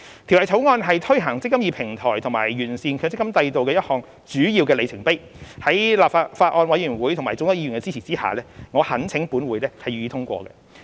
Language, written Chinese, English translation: Cantonese, 《條例草案》是推行"積金易"平台及完善強積金制度的一個主要里程碑，在法案委員會及眾多議員的支持下，我懇請立法會予以通過。, The Bill is a key milestone in implementing the eMPF Platform and improving the MPF System . With the support of the Bills Committee and many Members I urge the Legislative Council to pass the Bill